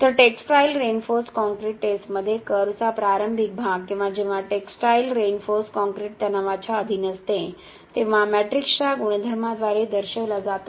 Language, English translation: Marathi, So, the initial portion of the curve in a textile reinforced concrete test or when textile reinforced concrete is subjected to a tensile stress is represented by the properties of the matrix itself